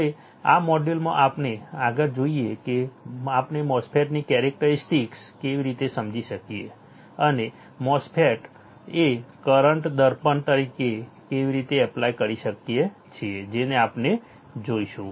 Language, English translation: Gujarati, Now, in this module let us see further how we can understand the characteristics of a MOSFET, and how can one apply the MOSFET as a current mirror that we will be looking at